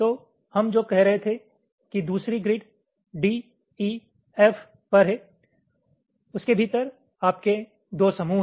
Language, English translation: Hindi, so what we were saying is that on the second grid, d e, f was there